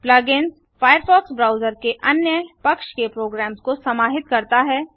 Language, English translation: Hindi, Plug ins integrate third party programs into the firefox browser